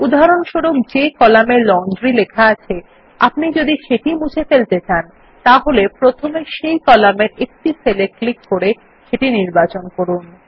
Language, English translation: Bengali, For example if we want to delete the column which has Laundry written in it, first select a cell in that column by clicking on it